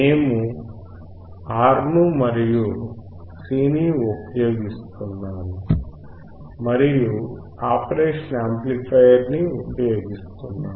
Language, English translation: Telugu, Because we are using R we are using C and we are using operational amplifier